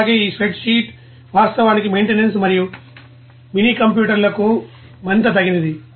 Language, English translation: Telugu, And also, this spreadsheet actually is more suitable for maintenance and minicomputers